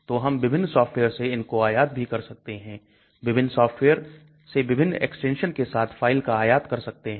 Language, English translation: Hindi, So we can import from different softwares also different softwares, the files with the different extensions